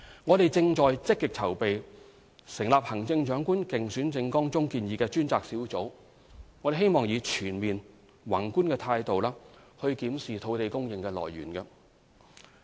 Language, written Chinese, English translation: Cantonese, 我們正積極籌備成立行政長官競選政綱中建議的專責小組，希望以全面、宏觀的態度檢視土地供應的來源。, We are making active preparation to set up a dedicated task force as proposed in the Chief Executives manifesto to take a macro review of our land supply options